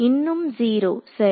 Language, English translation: Tamil, Still 0 right